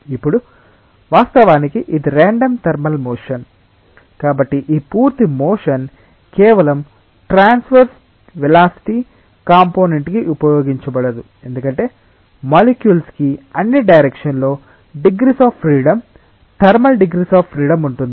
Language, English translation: Telugu, Now, of course, this is a random thermal motion; so, not that this full motion is utilized for just the transverse velocity component because, the molecules have degrees of freedom thermal degrees of freedom in all direction